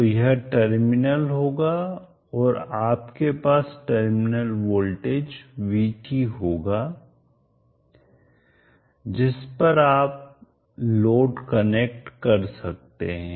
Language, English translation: Hindi, So this would be the terminals and you will have wheat the terminal voltage across which you can connect the load